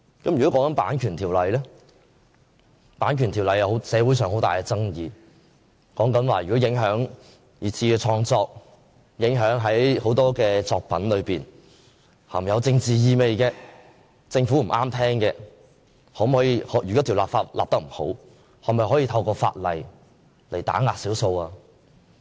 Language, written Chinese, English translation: Cantonese, 例如《版權條例》的修訂，社會上有很大爭議，如果影響二次創作，影響很多含有政治意味、政府覺得不中聽的作品，如果這項法例的修訂不完善，是否可以用來打壓少數？, For example the legislative amendment concerning the Copyright Ordinance aroused fierce controversies in society . If the legislative amendment will affect secondary creation and works carrying political connotations not favoured by the Government and that the amendment exercise is not done thoroughly will the Ordinance be used as a tool to suppress the minorities?